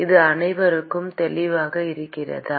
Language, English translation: Tamil, Is that clear to everyone